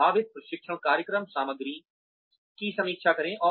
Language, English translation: Hindi, Review possible training program content